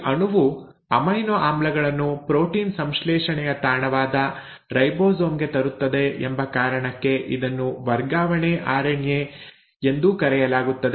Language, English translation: Kannada, It is also called as transfer RNA because this molecule will actually bring in the amino acids to the ribosome, the site of protein synthesis